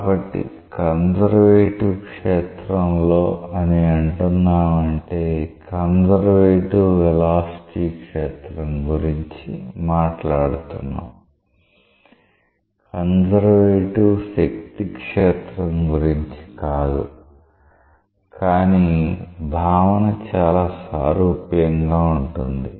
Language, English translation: Telugu, So, in a conservative field, so similarly this is talking about a conservative velocity field, not a conservative force field, but the concept is very much analogous